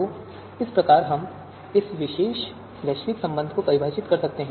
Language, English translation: Hindi, So this is how we can define this particular you know you know global relation